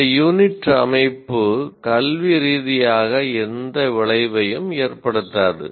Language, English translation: Tamil, And why this unit structure academically of no consequence